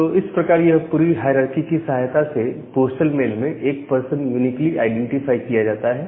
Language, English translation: Hindi, So, that way this entire hierarchical way is helped to uniquely identify a person in a postal mail